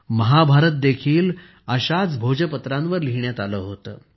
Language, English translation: Marathi, Mahabharata was also written on the Bhojpatra